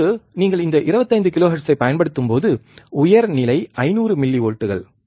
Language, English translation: Tamil, Now this when you apply this 25 kilohertz, the high level is 500 millivolts